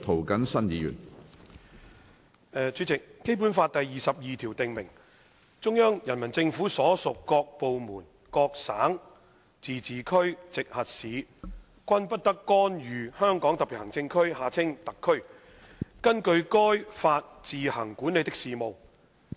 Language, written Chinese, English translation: Cantonese, 主席，《基本法》第二十二條訂明，中央人民政府所屬各部門、各省、自治區、直轄市均不得干預香港特別行政區根據該法自行管理的事務。, President Article 22 of the Basic Law stipulates that no department of the Central Peoples Government CPG and no province autonomous region or municipality directly under the Central Government may interfere in the affairs which the Hong Kong Special Administrative Region SAR administers on its own in accordance with the Law